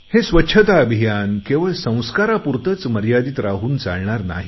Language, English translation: Marathi, It will not be sufficient to keep this Cleanliness Campaign confined to beliefs and habits